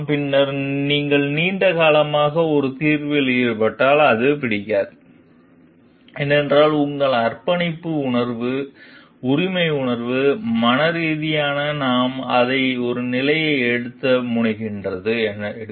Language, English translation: Tamil, And then it does not like if you are involved with a solution for too long because of the sense of because of your commitment, because of the sense of ownership, mentally we take to take tend to take a position for it